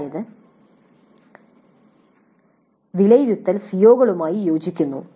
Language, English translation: Malayalam, That means assessment is in alignment with the COs